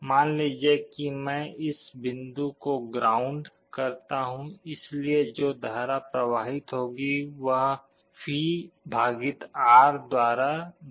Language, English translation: Hindi, Suppose I ground this point, so the current that will be flowing will be given by V / R